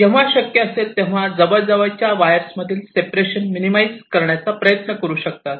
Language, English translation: Marathi, you want to minimize the separation between adjacent wires wherever possible